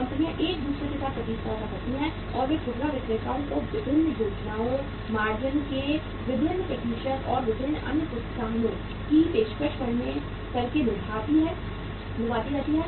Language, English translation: Hindi, Companies compete with each other and they keep on luring the retailers by offering them different schemes, different percentages of the margins and different other incentives